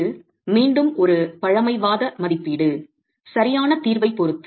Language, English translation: Tamil, This again is a conservative estimate with respect to the exact solution itself